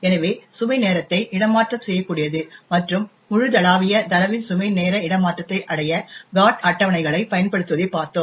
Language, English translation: Tamil, So, we looked at load time relocatable and the use of GOT tables to achieve Load time relocation of global data